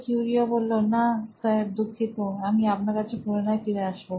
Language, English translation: Bengali, No, sir, sorry sir, I will get back to you, sir